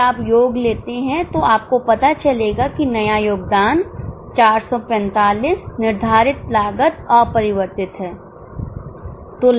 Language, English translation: Hindi, If you take totals you will realize that new contribution is 445, fixed cost is unchanged, so profit is 335